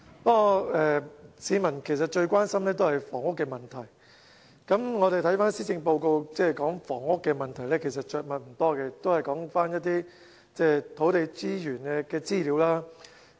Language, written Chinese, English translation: Cantonese, 不過，市民最關心的是房屋問題，而施政報告對房屋問題其實着墨不多，都是說一些土地資源的資料。, However the Policy Address has not given much focused treatment to the housing problem which is the biggest public concern . It merely gives some information about land resources